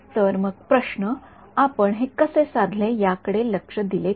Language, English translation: Marathi, So, question so, if you look at the way we derived this